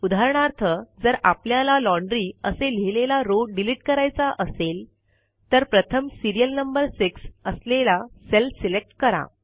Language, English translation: Marathi, For example if we want to delete the column which has Laundry written in it, first select a cell in that column by clicking on it